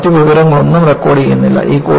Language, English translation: Malayalam, You do not record any other information